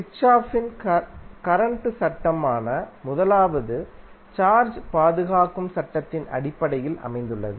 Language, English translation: Tamil, The first one that is Kirchhoff’s current law is based on law of conservation of charge